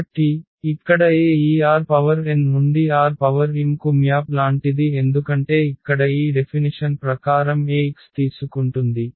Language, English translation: Telugu, So, here the A is like map from this R n to R m because it is taking by this definition here Ax